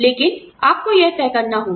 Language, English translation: Hindi, But, you have to decide that